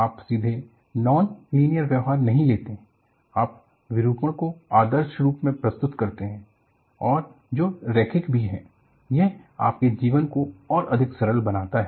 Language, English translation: Hindi, You do not directly take up non linear behavior, you idealize the deformation as small and it is also linear, it makes your life a lot more simple